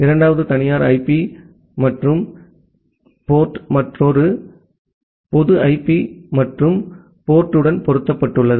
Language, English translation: Tamil, The second private IP and the port is mapped to another public IP and the port